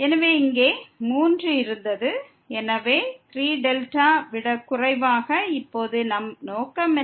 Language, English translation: Tamil, So, here 3 was there; so, less than 3 delta and what is our aim now